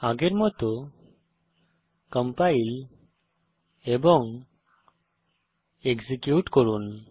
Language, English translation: Bengali, Compile and execute as before